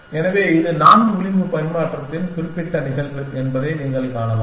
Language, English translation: Tamil, So, you can see that this is the particular case of four edge exchange essentially